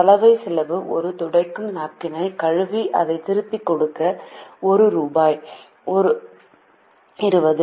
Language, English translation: Tamil, the laundry cost is rupees twenty per napkin to wash and give it back